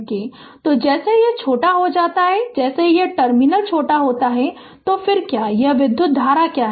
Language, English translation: Hindi, So, as soon as this is shorted that as soon as this terminal is shorted right then what is the what is the then what is this current